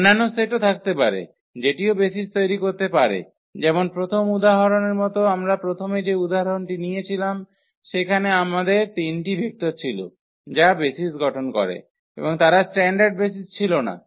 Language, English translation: Bengali, There can be other set which can also form the basis like in the example of the first example which we started with we had those 3 vectors which form the basis and they were not the standard basis